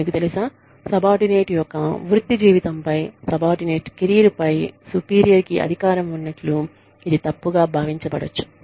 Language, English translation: Telugu, You know, it can be misconstrued, as the superior having power over the subordinate's career, over the subordinate's professional life